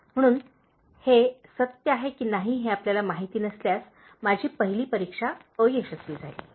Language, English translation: Marathi, ” so if you don’t know whether it is true, my first test it has failed